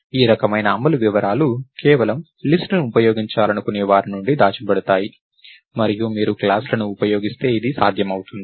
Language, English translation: Telugu, This kind of implementation detail can be hidden from somebody who just wants to use a list and this is possible if you use classes